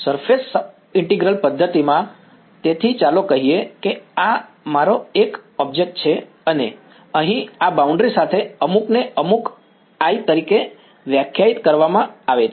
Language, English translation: Gujarati, In surface integral method so, let us say this is my a object over here with some with this boundary is defined to be some gamma